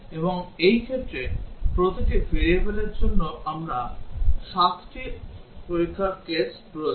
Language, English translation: Bengali, And in this case, we need seven test cases for each variable